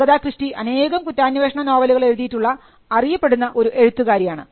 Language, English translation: Malayalam, So, Agatha Christie is known to have written many murder mysteries